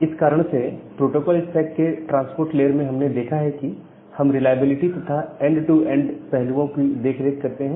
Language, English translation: Hindi, And that is why we have looked that in the transport layer of the protocol stack we take care of the reliability and other end to end aspect